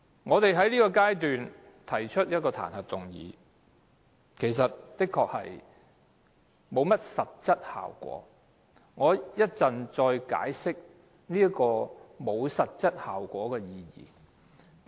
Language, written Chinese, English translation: Cantonese, 我們在這階段提出彈劾議案，的確不會有實質效果，我稍後再解釋為何沒有實質效果。, In fact the motion on impeachment initiated by us at this stage really will not produce any substantial effect . I will explain later why that is so